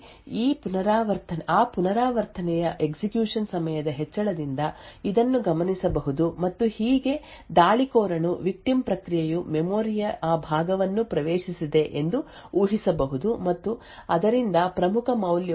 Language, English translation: Kannada, So this would be observed by an increase in the execution time for that iteration in the spy process and thus the attacker can infer that the victim process has accessed that portion of memory and from that could infer that the key value is either 0xAA or something very close to 0xAA